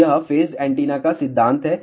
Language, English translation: Hindi, So, that is the principle of phased array antenna